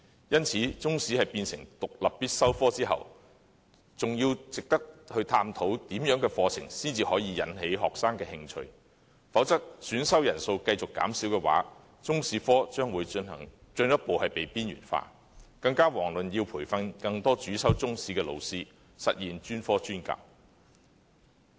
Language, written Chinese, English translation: Cantonese, 因此，中史成為獨立必修科後，還得探討怎樣的課程才能引起學生的興趣，否則，選修人數會繼續減少，中史科將會進一步被邊緣化，遑論培訓更多主修中史的老師，實現專科專教。, Therefore after making Chinese History an independent and compulsory subject it is still necessary to discuss what kind of curriculum can arouse students interest otherwise with a declining number of students taking the subject Chinese History will be marginalized further not to mention training up more teachers who are Chinese History majors to realize specialized teaching